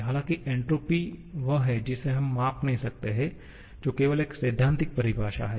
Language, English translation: Hindi, However, entropy is the one that we cannot measure that is only a theoretical definition